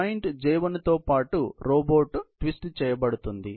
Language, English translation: Telugu, Robot is twisting along with joint J1